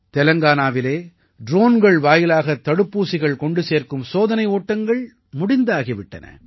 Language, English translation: Tamil, Telangana has also done trials for vaccine delivery by drone